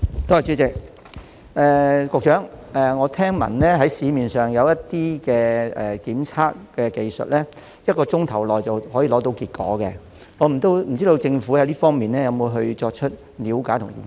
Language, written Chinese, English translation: Cantonese, 局長，我聽聞市面上有些檢測技術可在1小時內得出結果，請問政府有否就這方面作出了解及研究？, Secretary I heard that some testing techniques available in the market can provide test results within one hour . May I ask if the Government has looked into the matter and conducted studies?